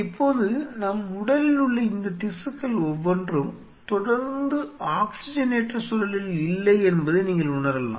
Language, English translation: Tamil, Now, if you realize each one of these tissues which are there in our body, they are not continuously in an oxygenated environment